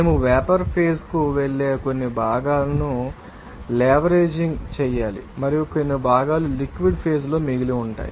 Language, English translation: Telugu, We need to be leveraging some components will be you know are going to the vapour phase and some components will be remaining in the liquid phase